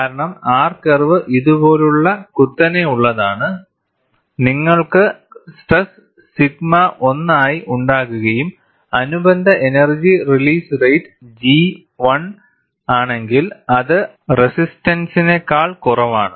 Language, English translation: Malayalam, Because R curve is steep like this, when you have a stress as sigma 1 and the corresponding energy release rate is G 1, which is less than the resistance